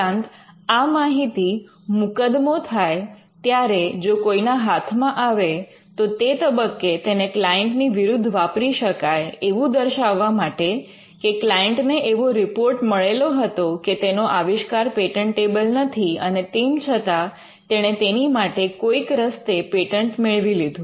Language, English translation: Gujarati, Additionally this information if it pops out could be used in litigation against the client at a later stage to state that; this client actually got a report saying that it is not patentable and still went ahead and patented it and got the patent granted by some means